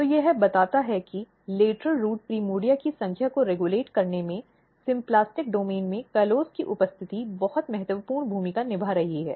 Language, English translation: Hindi, So, this suggests that the symplastic domain presence of symplastic domain or presence of callose in the symplastic domain is playing very important in regulating number of lateral root primordia